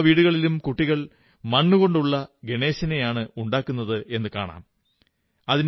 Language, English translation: Malayalam, If you go on YouTube, you will see that children in every home are making earthen Ganesh idols and are colouring them